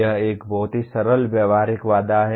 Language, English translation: Hindi, It is a very simple practical constraint